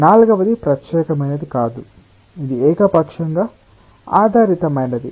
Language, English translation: Telugu, the fourth one is not a special one, it is arbitrarily oriented